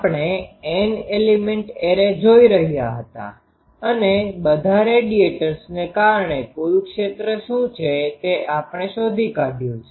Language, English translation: Gujarati, We were seeing N element array and we have found out what is a total field due to all the radiators